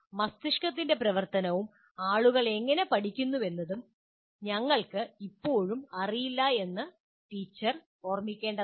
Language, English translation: Malayalam, And you should also remember, the teacher should remember, we still do not know very much how brain functions and how people learn